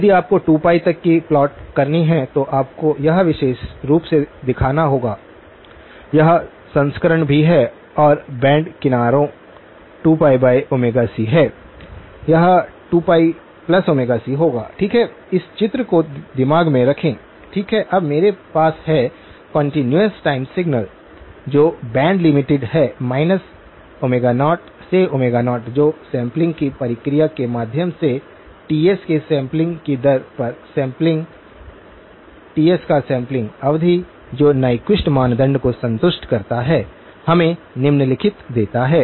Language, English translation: Hindi, If you were to plot from up to 2 pi, you would have to show this particular, this version also and the band edges are 2pi minus omega c, this would be 2pi plus omega c, okay keep that picture in my mind, okay now I have a continuous time signal which is band limited minus omega naught to omega naught which through the process of sampling; sampling at a sampling rate of Ts, the sampling period of Ts which satisfies the Nyquist criterion gives us the following